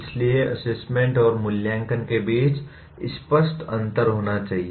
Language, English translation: Hindi, So there should be a clear difference between assessment and evaluation